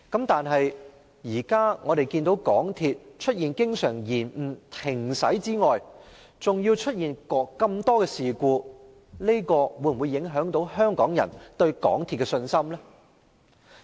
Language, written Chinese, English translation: Cantonese, 但是，我們現在看到港鐵除經常延誤、停駛外，更出現那麼多事故，這會否影響香港人對港鐵的信心呢？, However as we can see now not only are there often MTR service delays and suspensions but there have been so many incidents involving MTRCL as well . Will these affect Hong Kong peoples confidence in MTRCL?